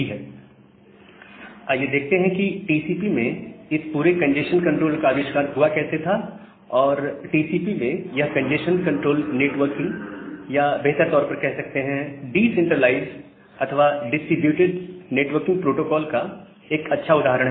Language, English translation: Hindi, Now, let us see that how this entire congestion control in TCP was invented, and this congestion control in TCP is a nice example of a networking or a better to say decentralized or distributed networking protocol